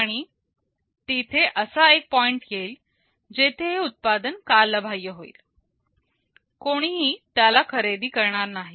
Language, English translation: Marathi, And there will be a point where the product will become obsolete, no one is buying it anymore